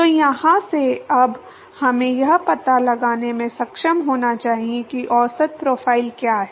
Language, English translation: Hindi, So, from here now we should be able to find out what is the average profile